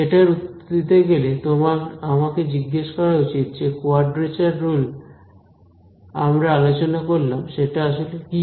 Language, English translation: Bengali, So, to answer that you should ask me what is a quadrature rule we just discussed, what is the quadrature rule